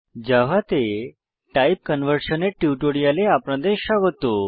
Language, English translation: Bengali, Welcome to the spoken tutorial on Type Conversion in Java